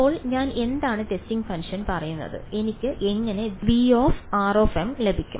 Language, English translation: Malayalam, Now, what am I saying testing function how do I how do I get V of r m